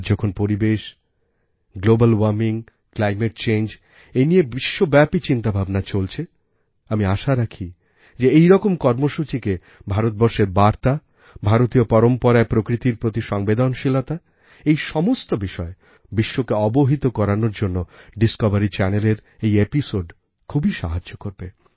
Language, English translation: Bengali, Today, when there is a global churning of thought on environment, Global Warming, and Climate Change, I do hope that in such circumstances, this episode of Discovery Channel will help greatly in familiarizing the world with the message from India, the traditions of India and the empathy for nature in India's trail of glorious traditions